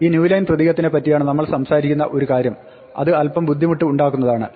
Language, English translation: Malayalam, One of the things we are talking about is this new line character which is a bit of annoyance